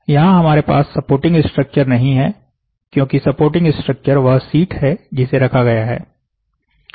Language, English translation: Hindi, So, here we don’t you supporting structure, because the supporting structure that sheet whatever is there which is placed